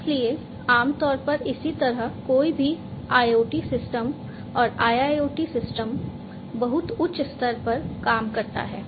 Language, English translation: Hindi, So, this is typically how any IoT system and IIoT system, at a very high level, is going to work